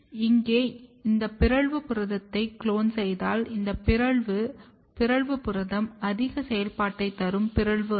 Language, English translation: Tamil, And here if you clone this mutant protein, this mutant protein is gain of function mutation